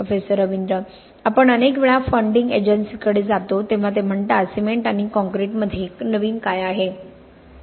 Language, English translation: Marathi, Lot of times when we go to funding agencies, they say what is new in cement and concrete